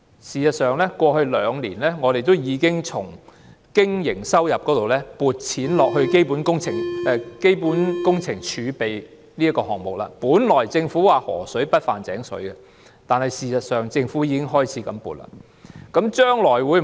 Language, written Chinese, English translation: Cantonese, 事實上，過去兩年，我們已將經營收入撥入基本工程儲備基金，本來政府說是"河水不犯井水"的，但事實上政府已經開始撥錢。, If there is any debt it will be repaid with public coffers . In fact in the past two years we have already credited operating revenue to CWRF . Originally the Government said the river water would not impinge on the well water but in reality the Government has already started making the provision